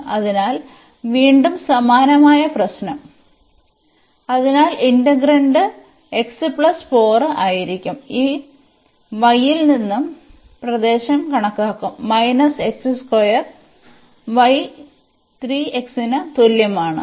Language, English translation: Malayalam, So, again the similar problem; so, the integrand will be x plus 4, and the region will be computed from this y is minus x square and y is equal to 3 x